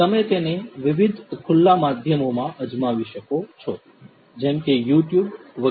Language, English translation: Gujarati, You could try it out in different open media such as YouTube etc